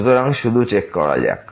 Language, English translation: Bengali, So, let us just check